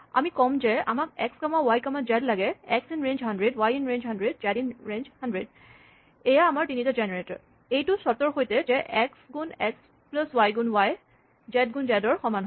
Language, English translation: Assamese, So, we say, I want x comma y comma z, for x in range 100, for y in range 100, for z in range 100, provided, x squared plus y squared is equal to z squared